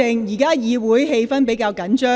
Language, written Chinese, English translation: Cantonese, 現時會議氣氛比較緊張。, The atmosphere of the meeting is relatively tense now